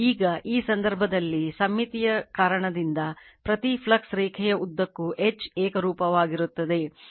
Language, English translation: Kannada, Now, in this case because of symmetry H is uniform along each flux line